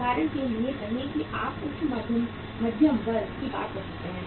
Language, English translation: Hindi, Say for example you talk about the upper middle class